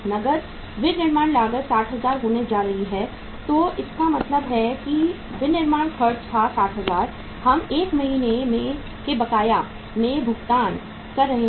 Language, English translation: Hindi, Cash manufacturing cost is going to be 60,000 so it means this is the this was the manufacturing expenses, 60,000 we are paying in the arrear of 1 month